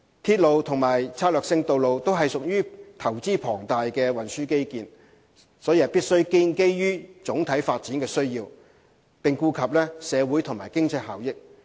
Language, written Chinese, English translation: Cantonese, 鐵路及策略性道路均屬龐大投資的運輸基建，必須建基於總體發展需要，顧及社會和經濟效益。, Railways and strategic roads are transport infrastructure requiring immense investment and must therefore be justified in terms of overall development needs as well as social and economic benefits